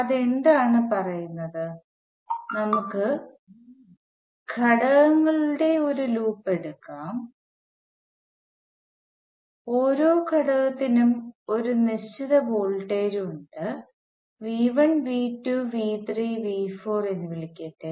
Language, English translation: Malayalam, And what it tells is that let say we take a loop of elements and each element has a certain voltage across it, and let me call this V 1, V 2, V 3 and V 4